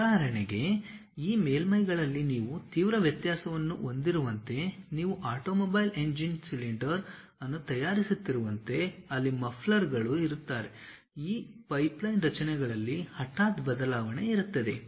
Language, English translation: Kannada, For example, like you have drastic variation on these surfaces, like you are making a automobile engine cylinder where mufflers will be there, sudden change in this pipeline structures will be there